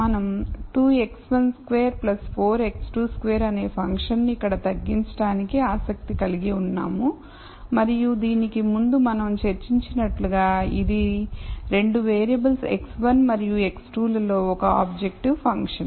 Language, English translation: Telugu, So we are interested in mini mizing the function here which is 2 x 1 squared plus 4 x 2 squared and like we discussed before this is an objective function in 2 variables x 1 and x 2